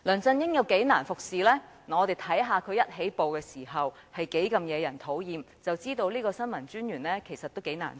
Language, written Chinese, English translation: Cantonese, 只要看看他一開始是多麼惹人討厭，便知道新聞統籌專員確實難為。, Once we realize how annoying he was when he first assumed office we will understand the difficulty faced by the Information Coordinator